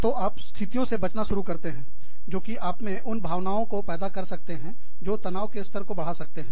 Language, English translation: Hindi, So, you start avoiding situations, that can invoke, emotions in you, that can elevate, the levels of stress